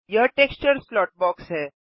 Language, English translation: Hindi, This is the texture slot box